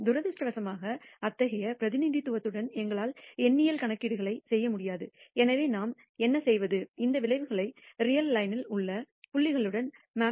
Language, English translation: Tamil, Unfortunately, we will not be able to do numerical computations with such rep resentation therefore, what we do is to map these outcomes to points on the real line